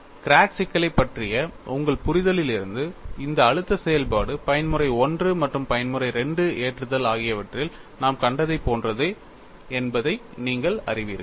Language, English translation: Tamil, And from your understanding of the crack problem, you know this stress function is very similar to what we have seen in the case of mode 1 loading as well as mode 2 loading